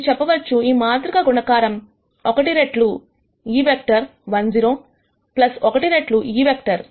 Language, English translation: Telugu, You could say that this matrix multiplication is also one times this vector 1 0 plus 1 times this vector